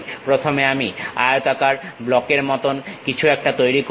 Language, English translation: Bengali, First I will make something like a rectangular block